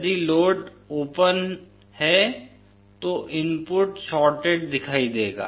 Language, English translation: Hindi, If the load is open, the input will appear to be shorted